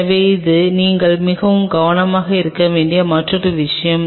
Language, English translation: Tamil, So, this is another thing which you have to be very careful